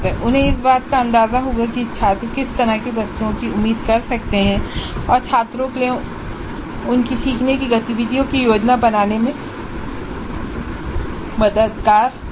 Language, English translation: Hindi, They would get an idea as to what kind of items the students can expect and that would be helpful for the students in planning their learning activities